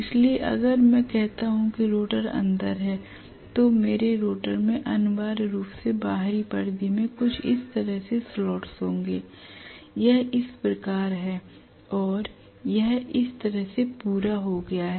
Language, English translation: Hindi, So if I say the rotor is sitting inside I am going to have the rotor essentially having slots in the outer periphery somewhat like this, this is how it is going to be and the entire thing is completed like this